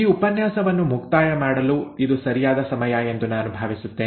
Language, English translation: Kannada, I think this is right time to close this lecture